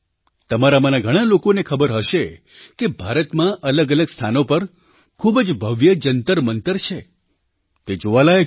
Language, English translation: Gujarati, Many of you might be aware that at various places in India, there are magnificent observatories Jantar Mantars which are worth seeing